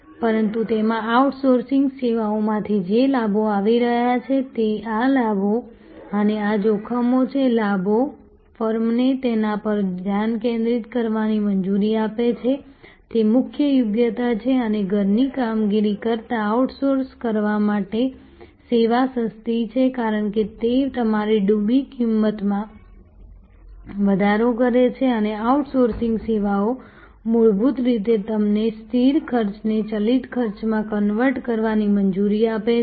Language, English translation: Gujarati, But, in that the advantages that are coming from outsourcing services are these benefits and these risks; the benefits are allows the firm to focus on it is core competence and service is cheaper to outsource than perform in house, because that raises your sunk cost and outsourcing services fundamentally allows you to convert fixed cost to variable cost